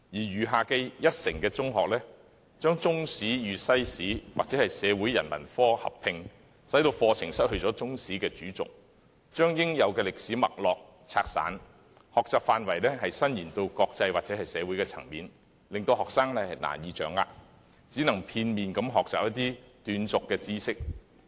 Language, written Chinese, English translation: Cantonese, 餘下一成的中學則將中史與西史或社會人文科合併，以致課程失去中史的主軸，把應有的歷史脈絡拆散，而將學習範圍伸延至國際或社會層面，更令學生難以掌握，只可片面地學習一些斷續的知識。, The remaining 10 % of the schools combine the subject of Chinese History with World History or integrated humanities causing the curriculum to lose its principal basis of Chinese History and dispersing the necessary thread of history while expanding the scope of learning to encompass international or social aspects . It has thus become more difficult for students to grasp the subject matter and they can only gain some disconnected knowledge in a one - sided manner